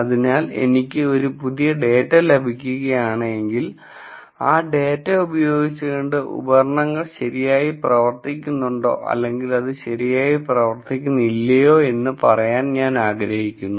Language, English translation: Malayalam, So, if I get a new data I want to say from this data if the equipment is working properly or it is not working properly